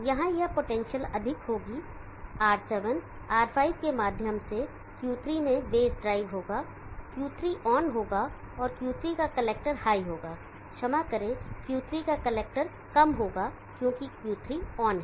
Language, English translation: Hindi, This potential here will be high, there will be base drive through R7, R5 into Q3, Q3 will be on and the collector of Q3 will be low, because Q3 is on